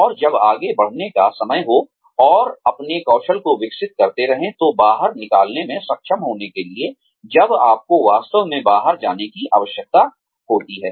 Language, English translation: Hindi, And, when it is time to move on, and keep developing your skills, for being able to move out, when you really need to move out